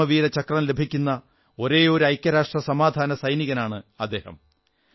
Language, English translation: Malayalam, He was the only UN peacekeeper, a braveheart, who was awarded the Param Veer Chakra